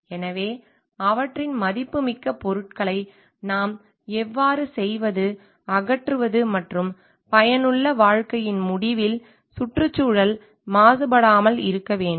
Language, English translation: Tamil, So, their valuable materials how do we dispose it and at the end of the useful life so that the environment does not get polluted